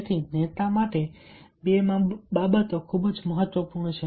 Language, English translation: Gujarati, so, number one: two things are very, very important for a leader